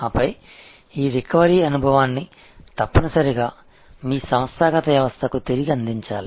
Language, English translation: Telugu, And then, very important that this recovery experience must be fed back to your organizational system